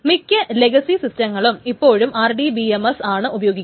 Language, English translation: Malayalam, So most legacy systems still use this RDBMS etc